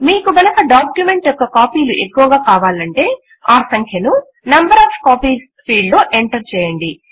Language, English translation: Telugu, If you want to print multiple copies of the document, then enter the value in the Number of copies field